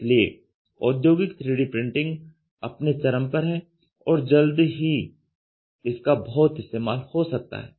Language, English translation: Hindi, So, that is why industrial 3D printing is at the tipping point about to go mainstream in a big way